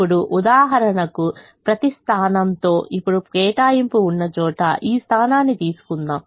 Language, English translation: Telugu, for example, now let us take this position where there is an allocation